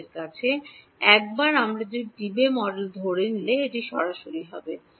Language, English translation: Bengali, We have, once we assume the Debye model, it is just straight